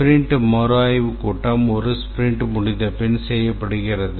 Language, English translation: Tamil, Sprint review ceremony is done after a sprint is complete